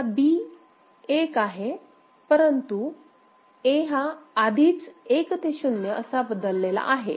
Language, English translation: Marathi, B as B is 1, but A has already change from 1 to 0